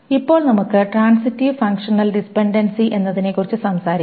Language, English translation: Malayalam, Then we will talk about something called a transitive functional dependency